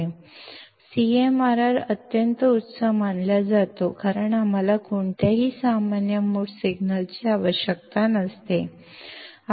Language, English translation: Marathi, And CMRR is supposed to be extremely high because we do not require any common mode signal